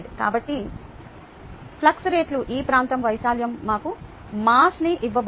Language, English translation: Telugu, ok, so the flux times, the area is going to give us mass and therefore this is flux